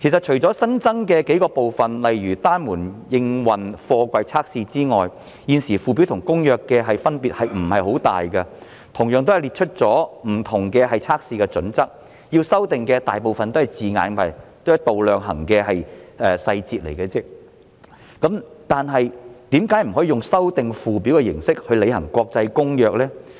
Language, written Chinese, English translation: Cantonese, 除了新增的數個部分，例如單門營運貨櫃測試之外，附表與《公約》的分別不太大，同樣列出了不同測試的準則，大部分要修訂的也是用詞及度量衡的細節，但為何不可以用修訂附表的形式來履行《公約》呢？, Except for a few new elements such as the testing of containers approved for operation with one door open or removed there is not much difference between the Schedule and the Convention . While both set out the criteria for different tests and most of the amendments are made to the details of wording and measurements why is it impossible to amend the Schedule to implement an international convention?